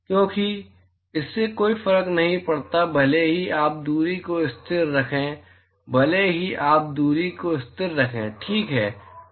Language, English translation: Hindi, Because the it does not matter, even if you keep the distance constant, even if you keep the distance constant ok